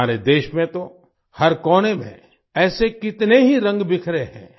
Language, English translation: Hindi, In our country, there are so many such colors scattered in every corner